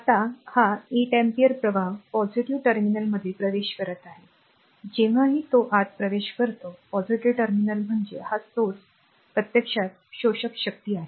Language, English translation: Marathi, Now, this 8 ampere current is entering into the positive terminal, whenever it enters into the positive terminal means this source actually absorbing power